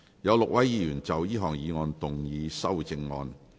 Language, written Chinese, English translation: Cantonese, 有6位議員要就這項議案動議修正案。, Six Members will move amendments to this motion